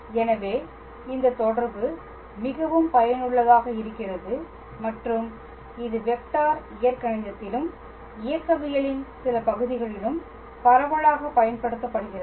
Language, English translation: Tamil, So, this relation is very useful and its widely used in vector calculus and also in some parts of mechanics as well